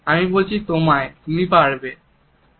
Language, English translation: Bengali, I am telling you, I can do it